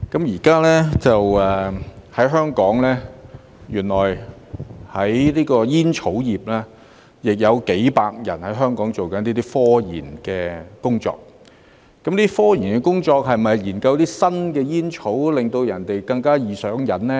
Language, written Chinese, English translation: Cantonese, 原來現在香港的煙草業，也有數百人正在進行科研工作，科研工作是否研究一些新煙草，令人更加易上癮呢？, It turns out that there are hundreds of people in the tobacco industry in Hong Kong who are doing scientific research so are they researching new tobacco products that will be more addictive?